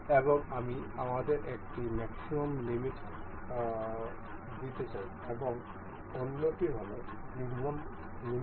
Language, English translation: Bengali, And it gives us a maximum limit and its another this is minimum value